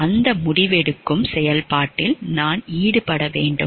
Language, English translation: Tamil, Should I be involved in that decision making process